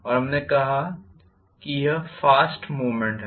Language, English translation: Hindi, And we said this is fast movement